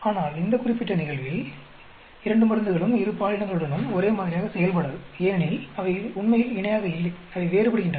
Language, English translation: Tamil, But in this particular case, both the drugs do not act in the same way with both the genders because they are not really parallel they are diverging